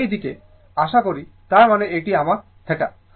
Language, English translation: Bengali, So, coming to this side, so that means, this is my theta